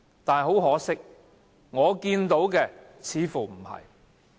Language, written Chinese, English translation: Cantonese, 但很可惜，我看到的似乎不是這樣。, Much to my regret however this seems not to be the case from what I have seen